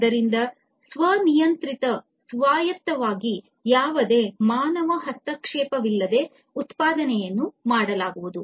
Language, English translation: Kannada, So, autonomic autonomously the manufacturing is going to be done, without any human intervention